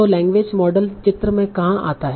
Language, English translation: Hindi, Now where does the language model come into picture